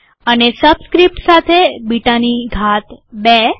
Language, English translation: Gujarati, And with subscript, beta to the power 2